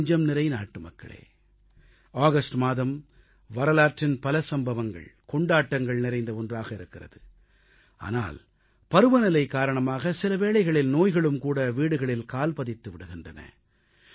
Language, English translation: Tamil, My dear countrymen, the month of August is significant because it is filled with historically important dates and festivals, but due to the weather sometimes sickness also enters the house